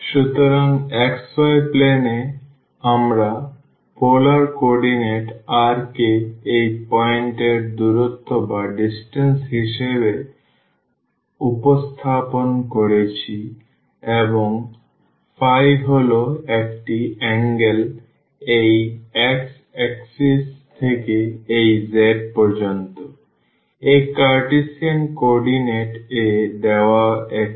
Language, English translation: Bengali, So, basically in the xy plane we are represented by the polar coordinate r is the distance to this point and phi is the angle from this x axis and this z here; it is the same as the given in the Cartesian coordinate